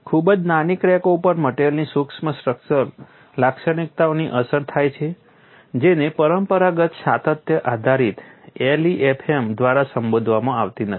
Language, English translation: Gujarati, Very small cracks are influenced by micro structural feature of the material that is not addressed by the conventional continuum based LEFM, because it depends on the scale